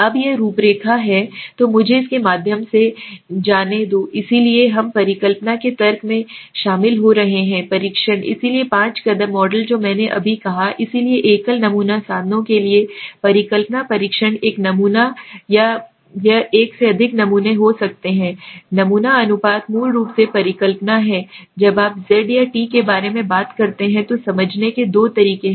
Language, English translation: Hindi, Now this is the outline so let me go through it, so we are getting into the logic of hypothesis testing, so the five step model which I just said, so hypothesis testing for single sample means one sample or it could be more than one sample, sample proportions basically hypothesis this is the when you talk about z or t there are two ways of understanding